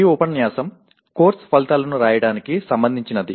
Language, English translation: Telugu, This unit is related to writing Course Outcomes